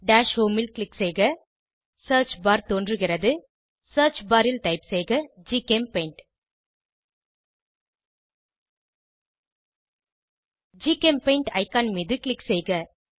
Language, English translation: Tamil, Click on Dash home Search bar appearsIn the Search bar type GChemPaint Click on the GChemPaint icon